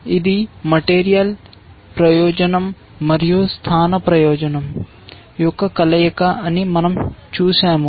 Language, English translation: Telugu, We had seen it is a combination of material advantage and positional advantage